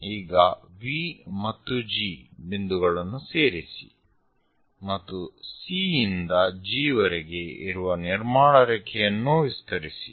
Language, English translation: Kannada, Now, join V and G, a construction line again from C all the way to G extend it, on both sides one can construct it